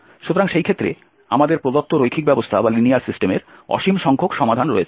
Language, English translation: Bengali, So in that case we have infinitely many solutions of the given linear system